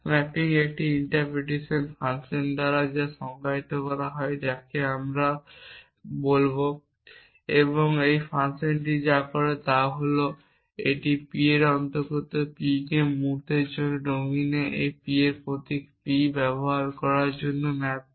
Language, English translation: Bengali, The mapping is defined by an interpretation function we will call is I and what this function does is that it maps every P belonging to P to use for this moment a symbol p I on the domine